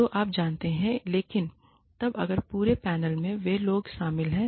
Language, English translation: Hindi, So, you know, but then, if the entire panel, consists of those people